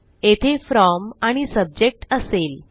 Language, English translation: Marathi, We will have the from and subject in here